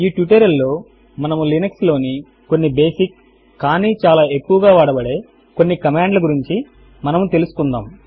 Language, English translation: Telugu, In this tutorial we will make ourselves acquainted with some of the most basic yet heavily used commands of Linux